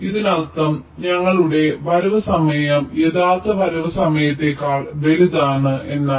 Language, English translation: Malayalam, it means our required arrival time is larger than the actual arrival time